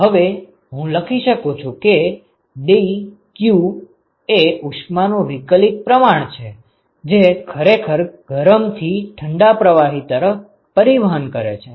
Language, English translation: Gujarati, So, now, I can write a so, the dq which is the differential amount of heat that is actually transported from the hot to the cold fluid ok